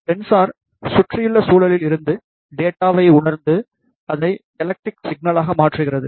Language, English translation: Tamil, Sensor, sense the data from the surrounding environment and converts it into electrical signals